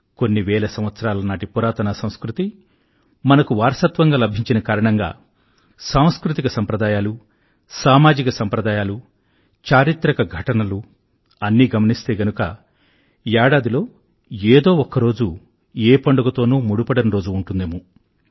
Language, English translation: Telugu, Ours is arich cultural heritage, spanning thousands of years when we look at our cultural traditions, social customs, historical events, there would hardly be a day left in the year which is not connected with a festival